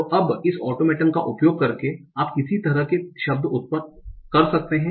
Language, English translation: Hindi, So now what kind of words that you can generate by using this automaton